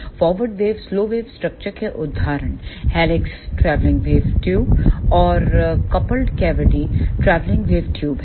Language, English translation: Hindi, The examples of forward wave ah slow wave structures are helix travelling wave tubes and coupled cavity travelling wave tubes